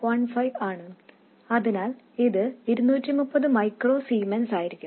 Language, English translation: Malayalam, So, this will be 230 microzemons